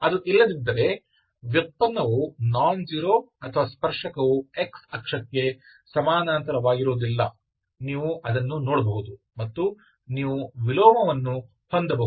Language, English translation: Kannada, If it is not, the derivative, the derivative is nonzero or the tangent is not parallel to x axis, you can see that, you can have an inverse, okay